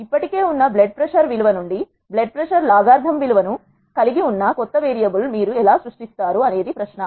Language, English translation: Telugu, How do you create a new variable which carries the logarithm value of the blood pressure from the existing blood pressure value is the question